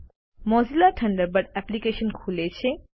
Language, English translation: Gujarati, The Mozilla Thunderbird application opens